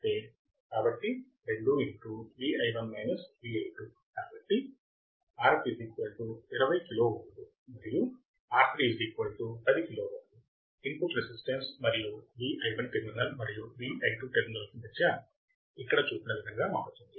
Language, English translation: Telugu, So, as R f equals to 20 kilo ohm and R 3 equals to 10 kilo ohm, input resistance to terminals V I 1 and V I 2 varies as shown here